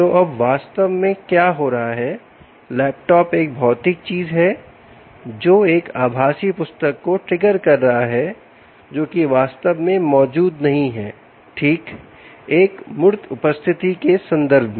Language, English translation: Hindi, ok, so now what is actually happening is the laptop, which is a physical thing, is triggering a virtual book which actually doesn't exist right in in terms of a tangible presence